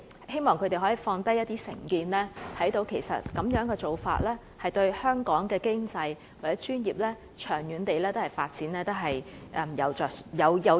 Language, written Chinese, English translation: Cantonese, 希望他們可以放下成見，看到資格互認對香港經濟或專業的長遠發展所帶來的好處。, I call on Members to put aside their prejudices and consider the benefits the mutual recognition arrangement can bring to the long - term developments of the local economy and of the local professionals